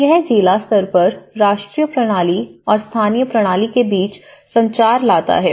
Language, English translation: Hindi, So, it is, it brings the communication between the national system and the local system at a district level